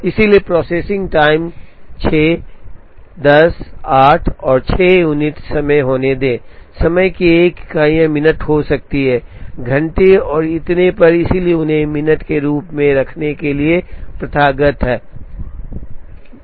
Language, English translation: Hindi, So let the processing times be 6 10 8 and 6 units of time, these units of time can be minutes, can be hours and so on, so it is customary to keep them as minutes